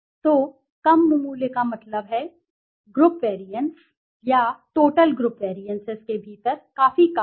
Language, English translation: Hindi, So, the low value means, that means within group variances/ total group variances is quite low